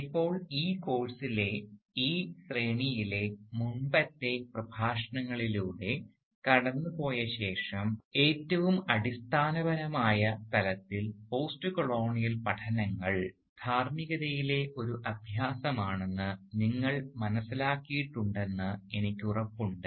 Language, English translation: Malayalam, Now, I am sure that by now, after going through the previous lectures in this series in this course, you have realised that at the most fundamental level, postcolonial studies is an exercise in ethics